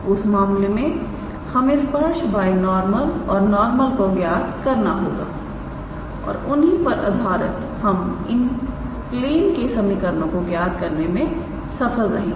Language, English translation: Hindi, Then in that case we have to calculate tangent binormal and normal and based on that of course, we can be able to give equations of any one of these planes